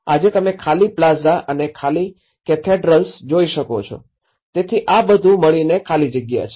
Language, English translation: Gujarati, Today, what you see is an empty plazas and empty cathedrals, so all together an empty one